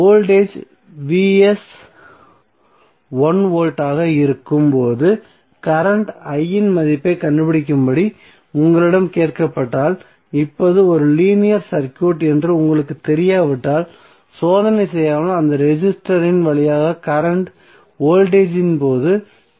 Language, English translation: Tamil, So, suppose if you are asked to find out the value of current I when voltage Vs is 1 volt and you know that this is a linear circuit without doing experiment you can straight away say that current flowing through that resistor would be 0